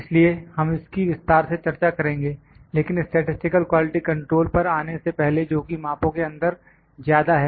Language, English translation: Hindi, So, we will discuss this in detail but before actually coming to the statistical quality control that is more in the measurements